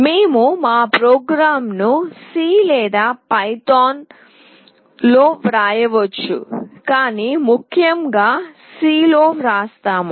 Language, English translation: Telugu, We can write our program in C or python, but most specifically we will be writing in C